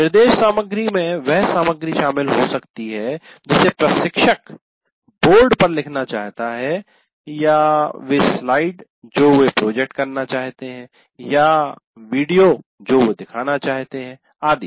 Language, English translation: Hindi, Instruction material may consist of the material that instructor wants to write on the board or the slides they want to project or video they want to show, whatever it is